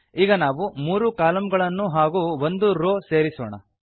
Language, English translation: Kannada, Now let us add three more columns and one more row